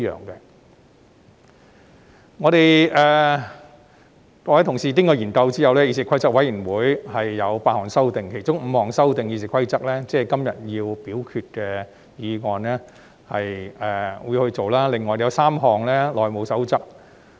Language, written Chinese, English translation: Cantonese, 經過各位同事研究後，議事規則委員會提出8項修訂，其中5項是修訂《議事規則》，即是今天會審議及表決的議案，另外有3項涉及《內務守則》。, After discussion among colleagues the Committee on Rules of Procedure proposes eight amendments five of them involve RoP which are going to be considered and voted on today and three involve the House Rules HP